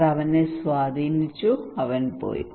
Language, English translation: Malayalam, So he was influenced by him, and he left